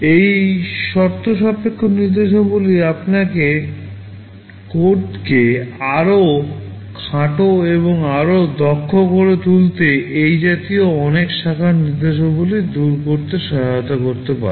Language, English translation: Bengali, These conditional instructions can help in eliminating many such branch instructions make your code shorter and more efficient